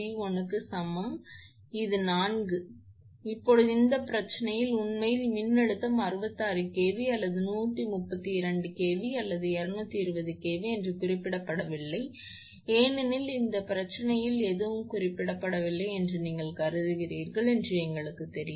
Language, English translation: Tamil, So, now, we know that that you assume because in this problem in this problem actually voltage is not mentioned whether it is 66 or 132 or 220 kV nothing is mentioned in this problem